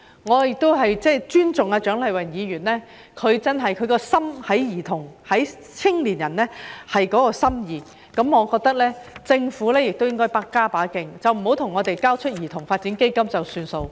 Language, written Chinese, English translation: Cantonese, 我尊重蔣麗芸議員對兒童和青年人的心意，我認為政府亦應該加把勁，不要向我們交出兒童發展基金便作罷。, While I respect Dr CHIANG Lai - wans good intentions for children and youngsters I think that the Government should also make extra efforts rather than simply giving us a child development fund